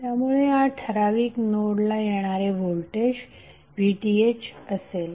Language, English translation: Marathi, So in that case this particular voltage would be nothing but VTh